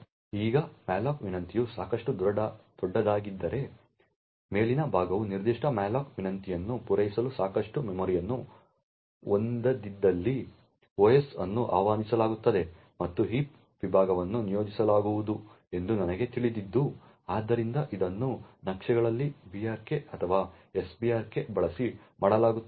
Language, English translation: Kannada, Now if the malloc request was large enough so that even the top chunk does not have sufficient memory to satisfy that particular malloc request then the OS gets invoked and I knew heap segment gets allocated, so this is done using the brk in maps or the sbrk system calls